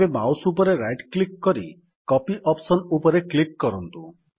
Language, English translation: Odia, Now right click on the mouse and click on the Copy option